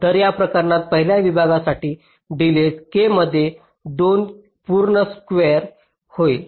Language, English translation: Marathi, so in this case, for the first segment, the delay will be k into l by two whole square